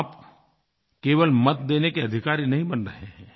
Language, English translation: Hindi, And it's not just about you acquiring the right to Vote